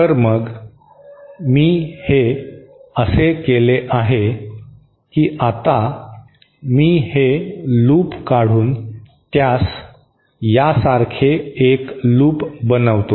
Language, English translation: Marathi, So, thenÉ What I have done this way that I have now removed this loop and made it a loop, single look like this